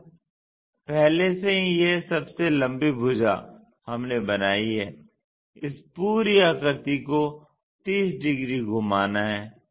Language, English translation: Hindi, Now, already this longest one we have constructed, this entire thing has to be rotated by 30 degrees